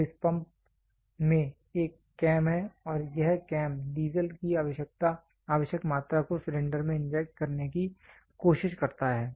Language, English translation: Hindi, So, in this pump there is a cam and this cam tries to inject the required amount of diesel into the cylinder